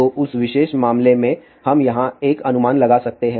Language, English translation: Hindi, So, in that particular case we can make an approximation over here